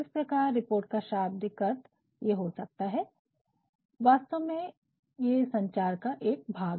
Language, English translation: Hindi, Hence, the literal definition of report can be it is actually a piece of communication